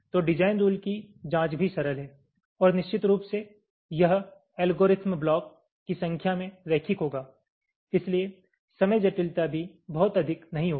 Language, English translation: Hindi, so here the checking for the design rule is also simple, ok, and of course this algorithm will be linear in the number of blocks, so the time complexity will not also be very high